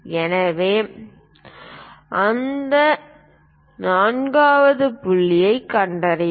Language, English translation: Tamil, So, locate that fourth point